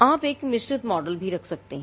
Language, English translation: Hindi, You could also have a mixed model